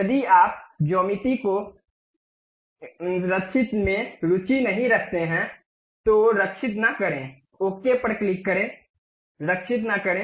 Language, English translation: Hindi, If you are not interested in saving geometries, do not save, click ok, do not save